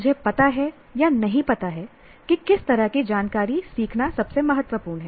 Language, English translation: Hindi, I know or do not know what kind of information is most important to learn